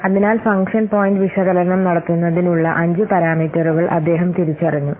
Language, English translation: Malayalam, So, he had identified five parameters for performing the function point analysis, let's see